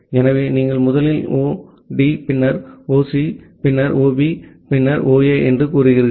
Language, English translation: Tamil, So, you will first say and possibly 0D, then 0C, then 0B, then 0A